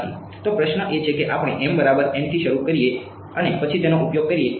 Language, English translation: Gujarati, So, the question is what we start with m equal to n and then use that